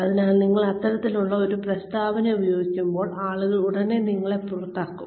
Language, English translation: Malayalam, So, you use this kind of a statement, and people will immediately, shut , themselves, shut you out